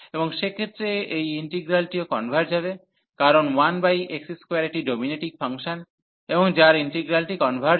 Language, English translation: Bengali, And in that case this integral will also converge, because this is dominating function 1 over x square and the whose integral converges